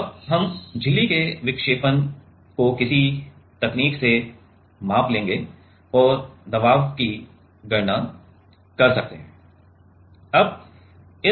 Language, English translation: Hindi, And, we will measure this deflection of the membrane by some technique and can calculate the pressure